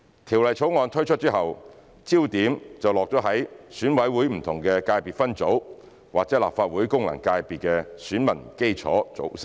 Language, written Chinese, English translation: Cantonese, 《條例草案》推出後，焦點便落到選委會不同界別分組或立法會功能界別的選民基礎組成。, After the introduction of the Bill the focus is on the electorate base of the different ECSS or FCs of the Legislative Council